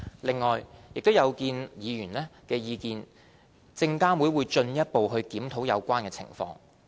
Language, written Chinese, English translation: Cantonese, 另外，有見及議員的意見，證監會已進一步檢討有關情況。, SFC has further reviewed the situation in response to Members views